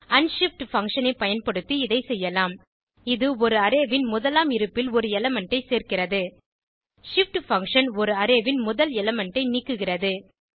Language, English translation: Tamil, This can be achieved using unshift function which adds an element to an Array at the 1st position shift function which removes the first element from an Array